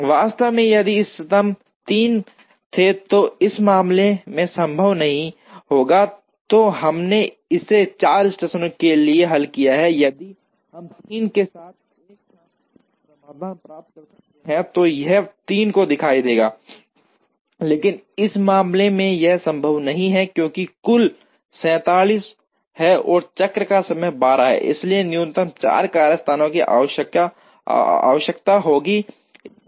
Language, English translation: Hindi, In fact, if the optimum were 3, which is not possible in this case, then we solved it for 4 stations, if we could get a solution with 3 it would still show the 3, but in this case it is not possible, because the total is 47 and the cycle time is 12, so minimum of 4 workstations are required